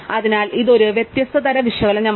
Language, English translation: Malayalam, So, this is a different kind of analysis